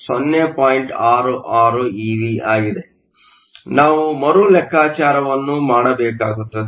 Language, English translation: Kannada, So, it wants us to do a recalculation